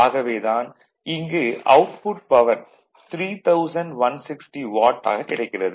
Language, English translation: Tamil, So, that is why it is coming your what you call 3160 watt right